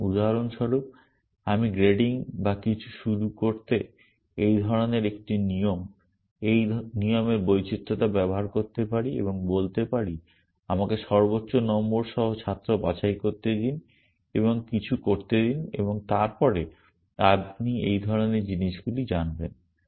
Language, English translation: Bengali, So, for example, I could use such a rule, variation of this rule to start grading or something and say let me pick the student with the highest marks and do something and then you know that kind of stuff